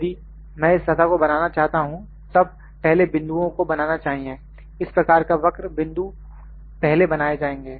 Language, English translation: Hindi, If I need to produce this surface the points would be produced first, this kind of curve the point would be produced first